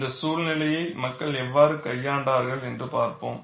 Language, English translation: Tamil, We will see, how people have handled these scenarios